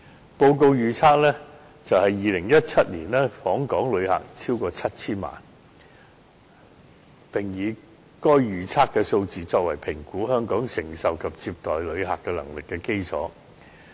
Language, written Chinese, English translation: Cantonese, 該報告預測2017年訪港旅客將超過 7,000 萬人次，並以該預測數字作為評估香港承受及接待旅客能力的基礎。, The report predicted that there would be more than 70 million visitor arrivals in 2017 and the assessment on Hong Kongs capacity to receive tourists were carried out based on that estimation